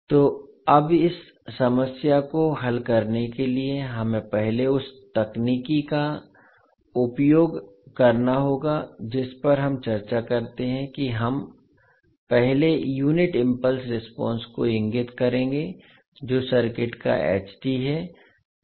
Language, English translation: Hindi, So now to solve this problem we have to first use the technique which we discuss that we will first point the unit impulse response that is s t of the circuit